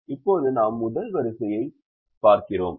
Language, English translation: Tamil, no, we look at the first column, so the first column